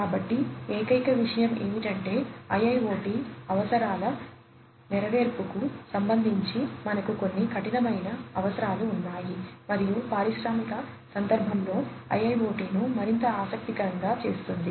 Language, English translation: Telugu, So, the only thing is that we have some stringent requirements with respect to the fulfilment of IoT requirements and that is what makes IIoT much more interesting in the industrial context